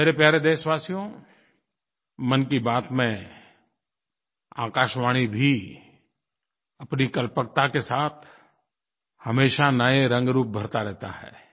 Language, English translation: Hindi, My dear countrymen, in 'Mann Ki Baat', All India Radio too infuses myriad novel hues of creativity and imagination